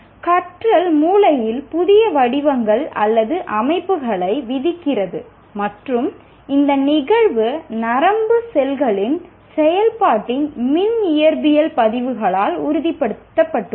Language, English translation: Tamil, And learning imposes new patterns or organizations on the brain and this phenomenon has been confirmed by electrophysiological recordings of the activity of nerve cells